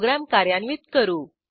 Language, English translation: Marathi, So, let us execute the programme